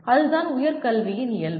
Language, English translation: Tamil, That is the nature of higher education